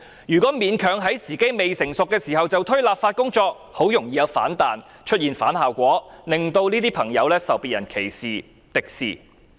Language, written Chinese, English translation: Cantonese, 如果勉強在時機未成熟時推行立法工作，很容易有反彈，出現反效果，令這些朋友受別人歧視、敵視。, If a legislative exercise was launched when the time was not ripe the work might backfire causing counter - productive results and subjecting these people to discrimination and hostility